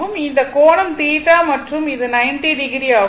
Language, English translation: Tamil, Then, this angle is also theta and this is 90 degree